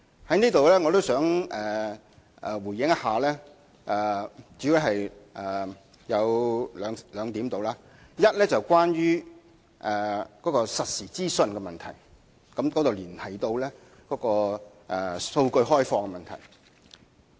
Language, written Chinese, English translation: Cantonese, 我在此主要想回應兩點：第一，是實時資訊的問題，這連繫到開放大數據的問題。, At this juncture I mainly wish to give a reply on two points . The first point concerns real time information and it is related to the opening up of Big Data